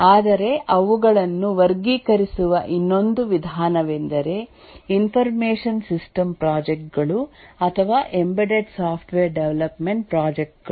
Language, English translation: Kannada, But another way of classifying them may be information system projects or embedded software development projects